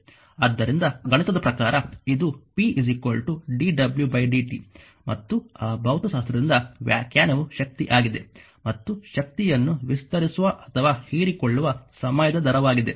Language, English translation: Kannada, So, mathematically this is p dw by dt and from that from that physics the definition is power is the time rate of expanding or absorbing energy